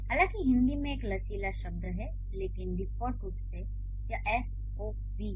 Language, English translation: Hindi, Though Hindi has a flexible worded up, but by default it is SOV, so this is S V O for English